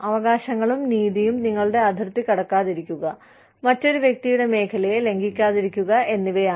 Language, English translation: Malayalam, Rights and justice are more about, not crossing your line, not infringing upon, another person